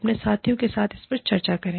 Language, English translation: Hindi, Do discuss this, with your peers